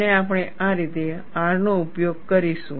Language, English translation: Gujarati, So, we will see, what is R